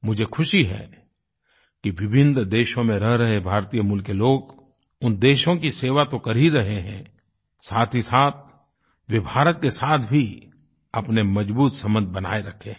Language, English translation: Hindi, I am happy that the people of Indian origin who live in different countries continue to serve those countries and at the same time they have maintained their strong relationship with India as well